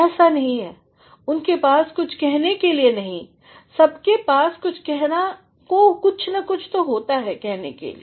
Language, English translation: Hindi, It is not that they do not have to say anything; everyone has got to say something or the other